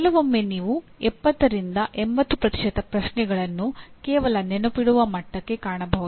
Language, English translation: Kannada, And sometimes you will find even 70 to 80% of the questions belong merely to the Remember level